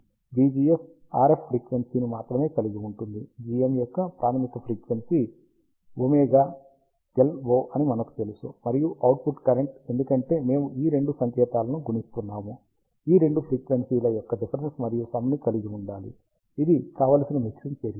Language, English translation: Telugu, So, v gs contains only the RF frequency; g m we know that has ah fundamental frequency of omega LO; and the output current, because we are ah multiplying these two signals, should contain the difference and the sum of these two frequencies, which is the desired mixing action